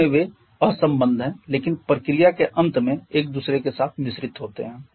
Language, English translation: Hindi, Initially they are unmixed but at the end of the process there mixed with each other